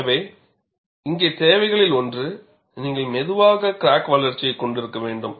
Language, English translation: Tamil, So, one of the requirements here is, you will need to have slow crack growth